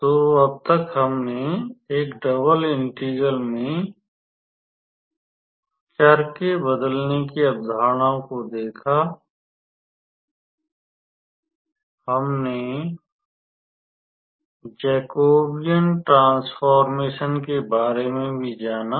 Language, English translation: Hindi, So, up until last class we looked into the concepts of changing the variables in a double integral; we also learnt about Jacobian transformation